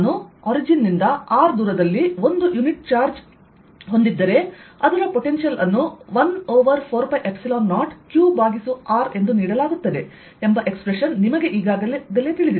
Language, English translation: Kannada, you already know the expression that if i have a unit charge at the origin, then at a distance r from it, potential is given as one over four pi, epsilon zero, q over r